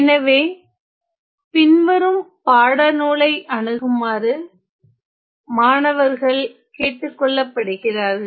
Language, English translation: Tamil, So, students are requested to look at the following text